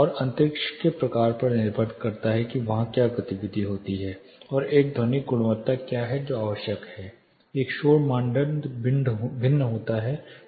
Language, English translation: Hindi, And depending upon the type of space what activity happens there and what is a acoustic quality which is required this noise criteria varies